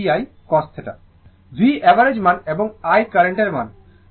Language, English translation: Bengali, V is the rms value of the voltage and I is the rms value of the current